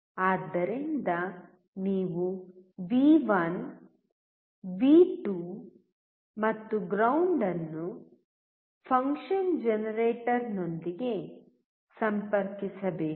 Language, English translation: Kannada, So, you have to connect V1, V2 and ground with the function generator